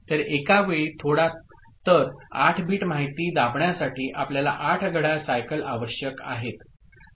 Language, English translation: Marathi, So, to push 8 bit of information, you need 8 clock cycles ok